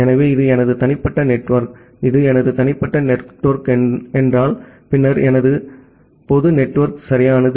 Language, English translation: Tamil, So, this is my private network; this is my private network and then I have my public network right